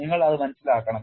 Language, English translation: Malayalam, You have to understand that